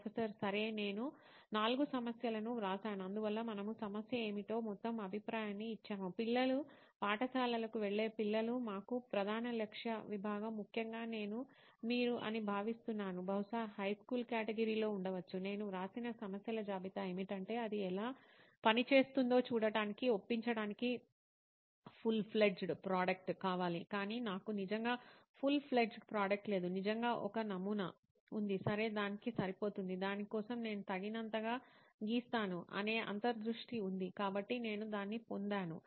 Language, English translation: Telugu, Okay, I have written down 4 problems that we could possibly take up, so we’ve given an overall view of what the problem is that children are school going children are the main target segment for us, particularly I think I am feeling that you are probably in the high school category, the list of problem that I have written down is that I want a full fledge product to convince somebody to even take a stab at it and see how it works, but I do not really have a full fledge product, really have a prototype, okay is that good enough for that, is the insight that I draw good enough for that, so I get it